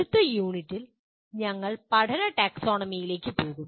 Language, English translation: Malayalam, And the next unit we will move on to the Taxonomy of Learning